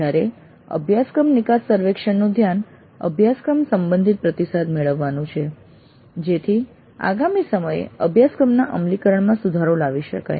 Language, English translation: Gujarati, Whereas the focus in a course exit survey is to get feedback regarding the course with the objective of improving the implementation of the course the next time